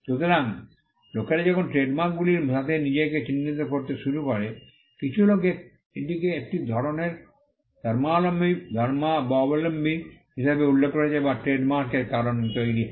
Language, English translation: Bengali, So, when people start identifying themselves with trademarks, some people have referred to this as a kind of a cult that gets created because of the trademarks themselves